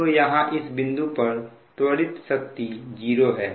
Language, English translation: Hindi, so in this case, even though the accelerating power is zero